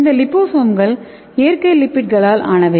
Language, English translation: Tamil, And these liposomes are made up of natural lipids